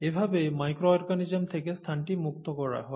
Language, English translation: Bengali, That is how the space is gotten rid of these micro organisms